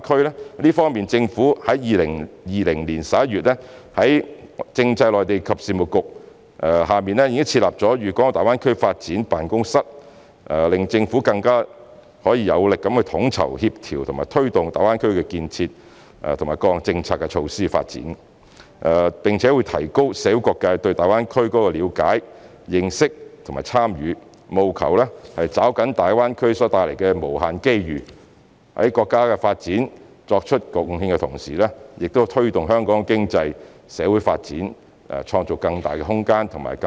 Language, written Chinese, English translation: Cantonese, 在這方面，政府在2020年11月在政制及內地事務局下設立了粵港澳大灣區發展辦公室，使政府可以更有力地統籌、協調和推動大灣區建設及各項政策措施的發展，並提高社會各界對大灣區建設的了解、認識和參與，務求抓緊大灣區所帶來的無限機遇；在為國家發展作出貢獻的同時，也為推動香港的經濟、社會發展創造更大的空間和動力。, In this regard the Government established the Guangdong - Hong Kong - Macao Greater Bay Area Development Office under the Constitutional and Mainland Affairs Bureau in November 2020 to strengthen the planning coordination and promotion of the development of the Greater Bay Area and related policies and measures and enhance the communitys awareness understanding and participation in the development of the Greater Bay Area so as to grasp the unlimited opportunities it brings . It will also create more room and impetus for promoting the economic and social development in Hong Kong while making contributions to the development of our country